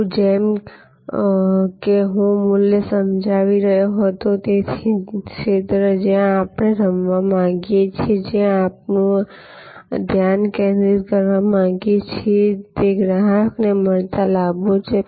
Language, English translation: Gujarati, Now, as I was explaining the value, which is therefore, the arena ever where we want to play, where we want to focus our attention is the perceived benefits to customer